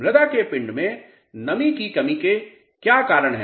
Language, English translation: Hindi, What are the causes of reduction in moisture of the soil mass